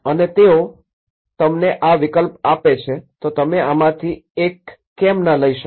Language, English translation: Gujarati, And they just give you this is options why not you take one of these